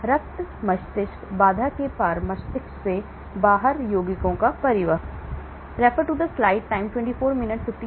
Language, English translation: Hindi, the transport of compounds out of the brain across the blood brain barrier